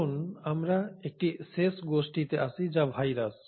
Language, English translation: Bengali, So then let us come to one last group which is the viruses